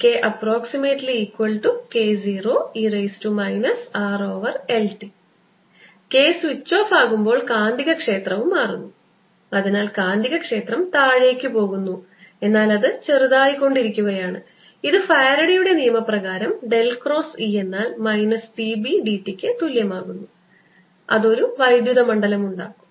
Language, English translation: Malayalam, if k is being switched off, the magnetic field also changes and therefore the magnetic field is going down, is becoming smaller and it'll produce, by faradays law del cross, b del cross e equals minus d, b d t